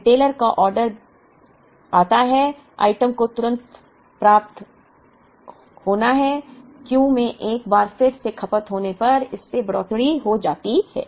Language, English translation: Hindi, The retailer places an order, gets items instantly it shoots up to Q once again it is consumed